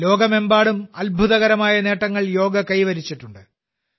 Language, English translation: Malayalam, Yoga Day has attained many great achievements all over the world